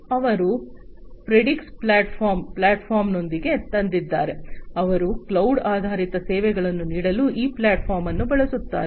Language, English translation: Kannada, They have come up with a platform which is the Predix platform, they use this platform this is their platform for offering cloud based services